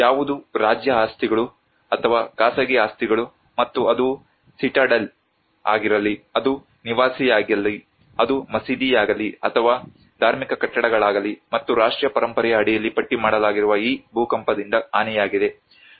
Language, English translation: Kannada, Which are the state properties or the private properties and whether it is a citadel, whether it is a residentials, whether it is a mosque, or religious buildings and which are listed under the national heritage have been damaged by this earthquake